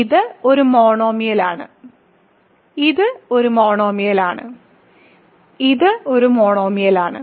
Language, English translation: Malayalam, So, this is a monomial; this is a monomial; this is a monomial